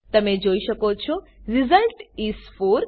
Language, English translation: Gujarati, You can see that Result is 4